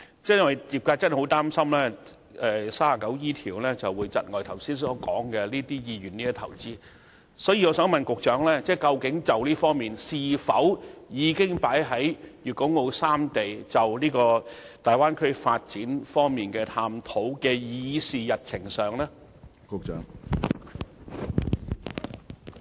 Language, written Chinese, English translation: Cantonese, 鑒於業界很擔心《稅務條例》第 39E 條會窒礙港商的投資意願，局長可否告知我們，這方面的事宜究竟是否已納入粵港澳大灣區發展規劃的議事日程上？, As the sector is very worried that section 39E of IRO will dampen Hong Kong businessmens investment interest will the Secretary tell us whether this matter has been included in the agenda of the Bay Area development scheme?